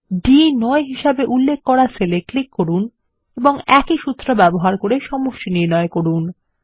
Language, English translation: Bengali, Click on the cell referenced as D9 and using the same formula find the total